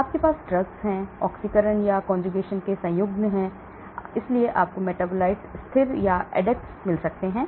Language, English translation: Hindi, So you have the drugs, we have an oxidation or conjugation, so you may find metabolites stable adducts